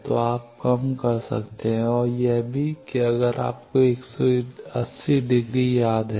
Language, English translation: Hindi, So, you can reduce and also if you remember that 180 degree